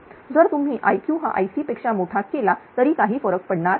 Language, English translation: Marathi, If you make i q greater than i c does not matter